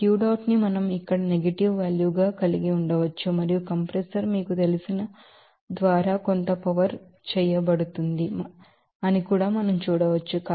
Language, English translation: Telugu, So, we can have this Q dot here as a negative value and also we can see that there will be some power will be done by this you know compressor